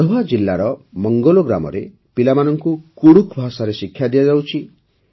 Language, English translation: Odia, Children are being imparted education in Kudukh language in Manglo village of Garhwa district